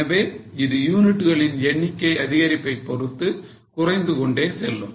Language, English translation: Tamil, So it keeps on falling as the number of units increase